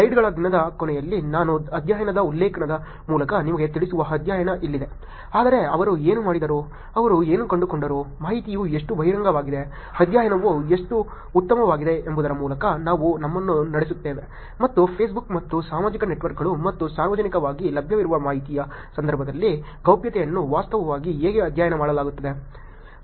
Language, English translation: Kannada, Here is the study that I will walk you through the reference to the study is at the end of the day of the slides, but we walk you through what they did, what they find, how revealing the information are, how good the study was and how the privacy is being actually studied in the context of Facebook and social networks and publicly available information